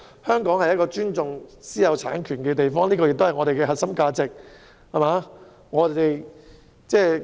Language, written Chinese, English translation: Cantonese, 香港向來尊重私有產權，而這亦是我們的核心價值。, Hong Kong has always respected private property rights which is our core value